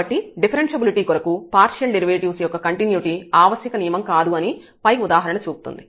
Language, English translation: Telugu, So, this remark the above example shows that the continuity of partial derivatives is not in necessary condition for differentiability